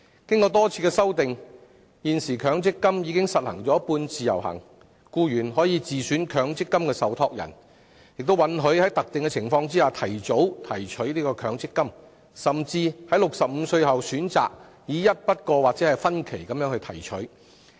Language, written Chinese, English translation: Cantonese, 經過多次修訂，現時強積金已實行"半自由行"，僱員可自選強積金受託人，亦可在特定情況下提早提取強積金，或在65歲後選擇以一筆過或分期提取。, After a number of amendment exercises the MPF System has currently implemented semi - portability under which employees may choose their own MPF trustees . They may also make early withdrawal of the MPF accrued benefits under specific circumstances or choose to withdraw them at one go or in phases